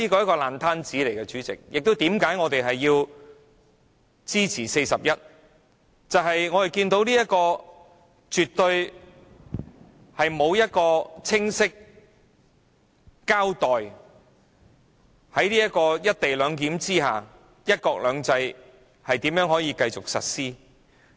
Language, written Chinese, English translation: Cantonese, 我們支持根據《議事規則》第41條動議的議案，因為政府沒有清晰交代"一地兩檢"下，"一國兩制"如何繼續實施。, We support the motion moved under RoP 41 for the Government has failed to clearly explain how one country two systems can still be implemented under the co - location arrangement